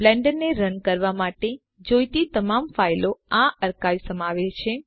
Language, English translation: Gujarati, This archive contains all files required to run Blender